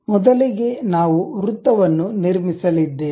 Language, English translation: Kannada, First a circle we are going to construct